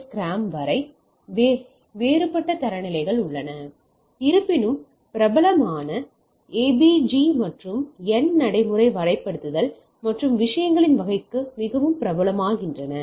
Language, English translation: Tamil, And there are different standards which came up, though popular are a b g and n become more popular for practical deployment and type of things